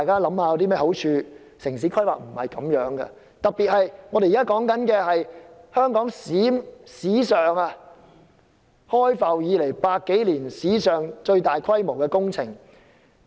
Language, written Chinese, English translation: Cantonese, 城市規劃不是這樣，特別是這是香港開埠百多年來最大規模的工程。, City planning should not be like that especially in consideration that the scale of this project is the largest since the inception of Hong Kong over a century ago